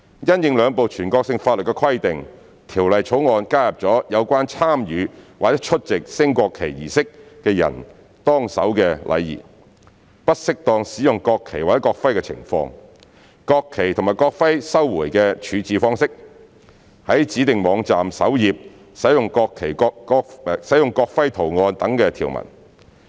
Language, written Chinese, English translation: Cantonese, 因應兩部全國性法律的規定，《條例草案》加入了有關參與或出席升國旗儀式的人當守的禮儀、不適當使用國旗或國徽的情況、國旗及國徽的收回處置方式、在指定網站首頁使用國徽圖案等條文。, In response to the provisions of the two national laws the Bill adds provisions to provide for the etiquette to be followed by the persons who take part in or attend a national flag raising ceremony the circumstances at which the national flag or national emblem be used inappropriately the manner of recovery and disposal of the national flags and the national emblems the use of the national emblem design on the home page of designated websites etc